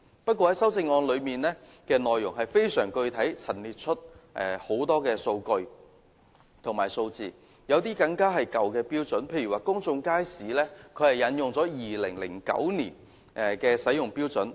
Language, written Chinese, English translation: Cantonese, 不過，他的修正案內容非常具體地陳列出很多數據及數字，有些更是用了舊的標準，例如在公眾街市方面他是引用了2009年使用的標準。, However some of the many data and statistics he has set out very specifically in his amendment were based on old standards . For example he cited the standard used in 2009 for public markets